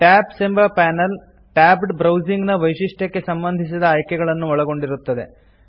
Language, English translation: Kannada, The Tabs panel contains preferences related to the tabbed browsing feature